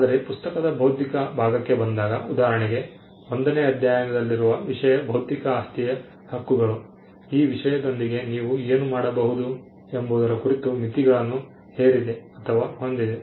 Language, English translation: Kannada, But when it comes to the intellectual part of the book, for instance, content that is in chapter one there are limitations put upon you by the intellectual property rights regime as to what you can do with that content